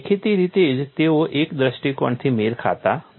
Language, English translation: Gujarati, Obviously, they do not match from one point of view